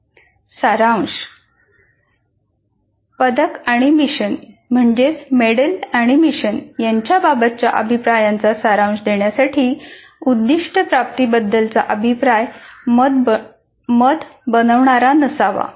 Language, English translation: Marathi, Now to summarize the feedback, medal and mission feedback should be non judgmental about attainment